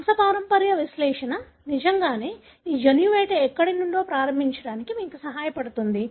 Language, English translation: Telugu, The pedigree analysis really helps you to start with this gene hunt as to where it is